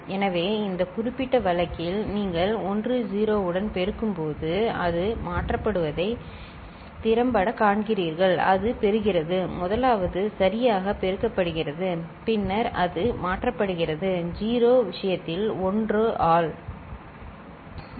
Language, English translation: Tamil, So, what effectively you see that it is just getting shifted when you are multiplying with 10 in this particular case, it is getting the first one is getting multiplied properly and then it is just getting shifted by the, for the case of the 0, by 1 ok